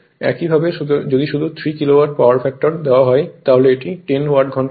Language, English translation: Bengali, Similarly if you if you just look into this right; so, at 3 Kilowatt power factor is given it is 10 hour